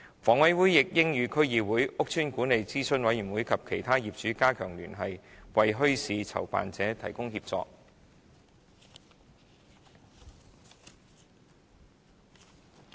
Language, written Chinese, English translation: Cantonese, 房委會亦應與區議會、屋邨管理諮詢委員會及其他業主加強聯繫，為墟市籌辦者提供協助。, HA should also enhance the liaison with District Councils the Estate Management Advisory Committee and other owners so as to provide assistance to bazaar organizers